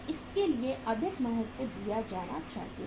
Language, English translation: Hindi, So more importance should be given for that